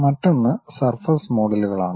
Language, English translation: Malayalam, The other one is surface models